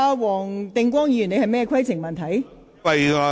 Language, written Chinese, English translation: Cantonese, 黃定光議員，你有甚麼規程問題？, Mr WONG Ting - kwong what is your point of order?